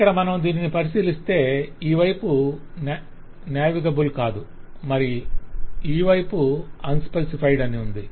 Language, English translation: Telugu, so here, if you look into this, this side is not navigable and this side is unspecified